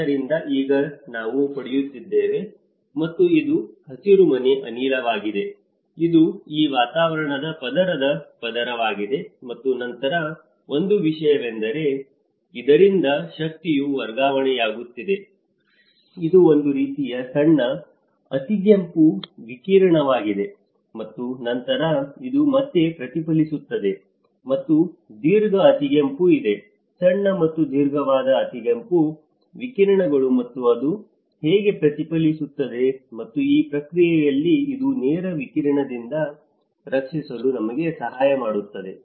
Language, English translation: Kannada, So, now we are getting and this is the greenhouse gas, it is a layer of this atmospheric layer, and then one thing is the energy is transferring from this which is a kind of short infrared radiation and then, this is again reflected back, and there is a long infrared; there is a short and long infrared radiations and how it is reflected back, and then in this process this is actually helping us to protect from the direct radiation